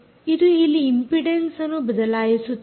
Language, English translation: Kannada, what it is doing is it is changing the impedance here